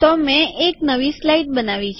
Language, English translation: Gujarati, So I have created a new slide